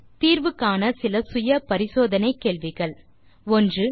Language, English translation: Tamil, Here are some self assessment questions for you to solve 1